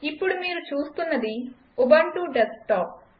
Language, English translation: Telugu, What you are seeing now, is the Ubuntu Desktop